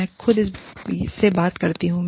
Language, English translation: Hindi, I talk to myself